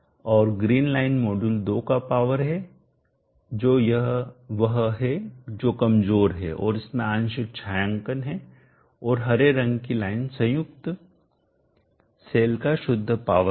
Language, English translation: Hindi, And the green line is the power of module 2 that is this the one which is weaker and has partial shading and the green one is the net power of the combined cells